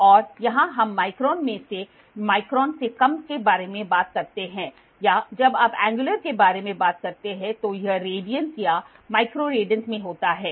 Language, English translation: Hindi, And here we talk about in microns or less than microns or when you talk about angular it is all in radians or micro radians